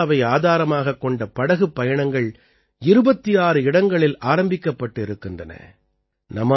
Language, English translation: Tamil, This Tourismbased Boat Safaris has been launched at 26 Locations